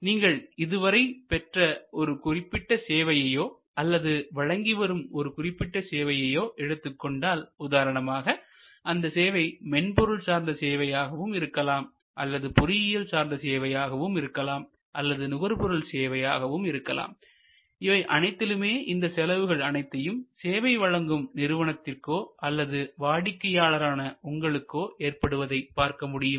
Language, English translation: Tamil, So, if you thing about any particular service that you have procured or any particular service that you might be offering, whether you have in a software service company or in an engineering service company or a consumer service company, you will be able to see all this elements apply between you or your organization is the service provider and the customer or the consumer